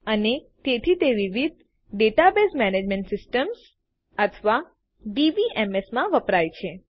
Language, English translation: Gujarati, And so it is used in a variety of Database Management Systems or DBMS